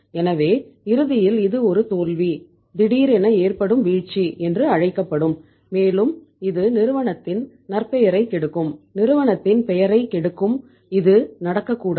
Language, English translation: Tamil, So ultimately it will be called as a defeat, debacle and it will be the spoil uh spoiling the reputation of the firm, spoiling the name of the firm which should not be done